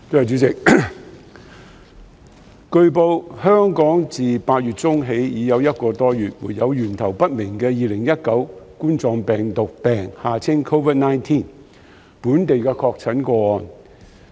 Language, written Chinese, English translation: Cantonese, 主席，據報，香港自8月中起已一個多月沒有源頭不明的2019冠狀病毒病本地確診個案。, President it is reported that there has been no local confirmed case of the Coronavirus Disease 2019 COVID - 19 in Hong Kong with an unknown source of infection for more than a month since mid - August